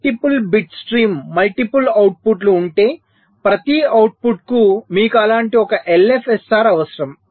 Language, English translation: Telugu, so if there are multiple bit stream, multiple outputs, you need one such l f s r for every output